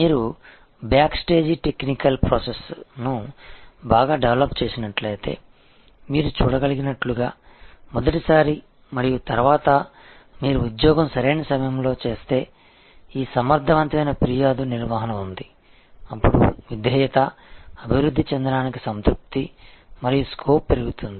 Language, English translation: Telugu, If you have developed the back stage technical process well, as you can see therefore, if you do the job right time, right the first time and then, there is this effective complaint handling, then there is a increase satisfaction and scope for developing loyalty